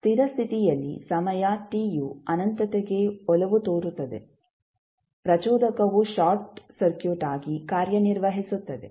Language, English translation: Kannada, At steady state condition say time t tends to infinity what will happen that the inductor will act as a short circuit